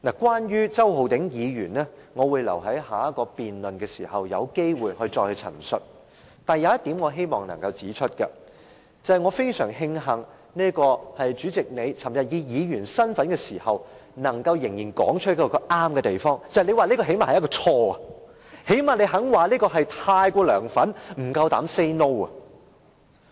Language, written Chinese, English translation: Cantonese, 關於周浩鼎議員，我會留待下個辯論環節有機會時再陳述，但有一點我希望能夠指出，我非常慶幸代理主席昨天以議員身份發言時，仍能說出正確的一點，便是你最少會說這是一個錯誤，最少你願意說他太過"梁粉"、不夠膽 "say no"。, I will wait till I have the chance in the next debate session to present my views about Mr Holden CHOW but I wish to make a point . I am very glad when you Deputy President spoke in the capacity as a Member yesterday you at least said Mr Holden CHOW has made a mistake at least you were willing to say that he was too much of a LEUNGs fan that he dare not say no